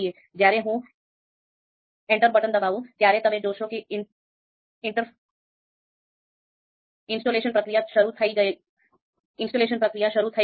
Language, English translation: Gujarati, So again, I will hit enter and you would see that installation process has started